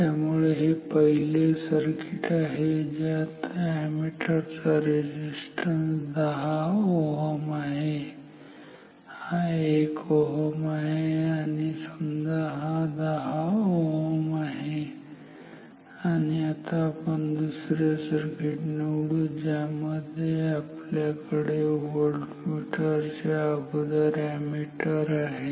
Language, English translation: Marathi, So, this is one circuit ammeter resistance is 10 ohm this is 1 kilo ohm and this is say 10 ohm and let us choose the other circuit which for which we will have the ammeter before the voltmeter